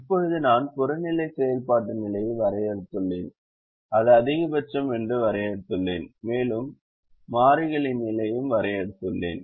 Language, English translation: Tamil, now i have defined the objective function position, i have defined that it is maximization and i have also defined the position of the variables